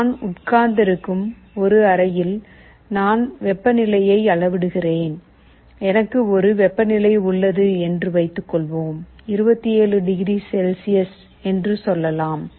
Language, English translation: Tamil, Suppose in a room where I am sitting, I am measuring the temperature and I have a set temperature, let us say 27 degree Celsius